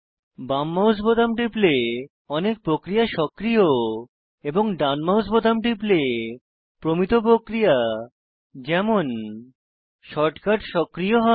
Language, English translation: Bengali, Pressing the right mouse button, activates more non standard actions like shortcuts